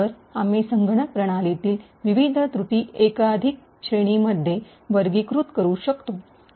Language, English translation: Marathi, So, we could actually categorise the different flaws in a computer system in multiple categories